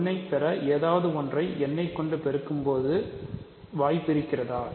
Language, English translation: Tamil, Can you multiply n with something to get 1